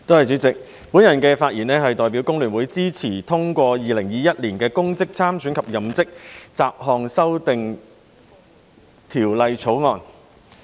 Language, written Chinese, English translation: Cantonese, 代理主席，我代表工聯會發言支持通過《2021年公職條例草案》。, Deputy President on behalf of FTU I speak in support of the passage of the Public Offices Bill 2021 the Bill